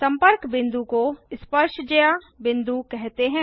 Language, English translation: Hindi, The point of contact is called point of tangency